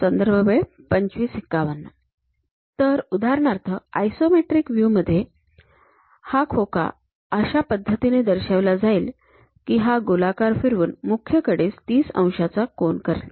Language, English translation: Marathi, So, for example, in the isometric view the box; we will represent it in such a way that, it will be rotated in such a way that one of these principal edges makes 30 degree angle